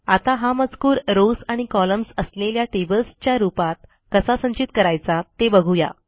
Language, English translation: Marathi, Now let us see, how we can store this data as individual tables of rows and columns